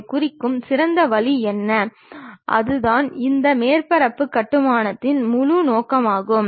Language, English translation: Tamil, What is the best way of representing that, that is the whole objective of this surface construction